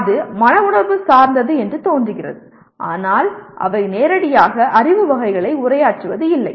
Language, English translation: Tamil, It seems to be affecting that but they do not directly address the Knowledge Categories